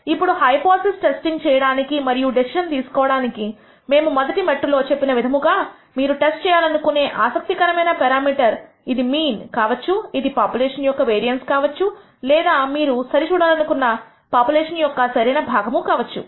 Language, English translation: Telugu, Now, in order to perform this hypothesis testing and make a decision; As we said the rst step is to identify the parameter of interest which you wish to test, it could be the mean, it could be the variance of the population or the proportion of the population that you want to verify value